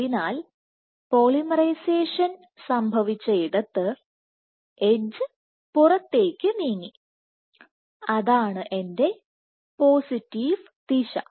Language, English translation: Malayalam, So, where polymerization has happened the edge has moved outward that is my positive direction